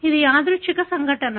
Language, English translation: Telugu, It is a random event